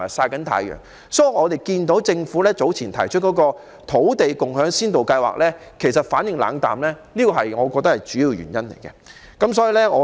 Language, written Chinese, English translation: Cantonese, 我認為，這正是市民對政府早前提出的土地共享先導計劃反應冷淡的主要原因。, To me this is precisely the major reason why the Land Sharing Pilot Scheme previously proposed by the Government had received lukewarm public response